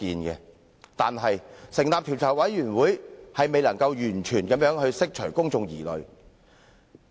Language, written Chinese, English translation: Cantonese, 可是，成立調查委員會卻未能完全釋除公眾的疑慮。, Nevertheless the establishment of the Commission of Inquiry will not completely ease the mind of the public